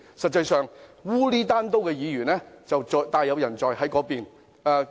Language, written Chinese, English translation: Cantonese, 實際上，糊裏糊塗的議員大有人在，就坐在那邊。, However there are actually many Members of that sort and they are sitting on the other side